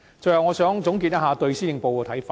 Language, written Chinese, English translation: Cantonese, 最後，我想總結一下對施政報告的看法。, Finally I would like to summarize my views on the Policy Address